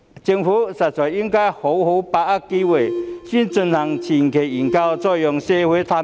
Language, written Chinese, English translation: Cantonese, 政府實在應該好好把握機會，先進行前期研究，然後再讓社會探討。, The Government should really seize this opportunity to first conduct a preliminary study on the aforesaid proposal before putting it forward for deliberation by the community